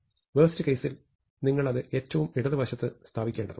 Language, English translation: Malayalam, So in the worst case, you might have to put it in the left most position